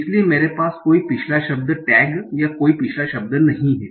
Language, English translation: Hindi, So I do not have any previous word tag or any previous word